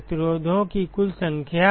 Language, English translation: Hindi, Total number of resistances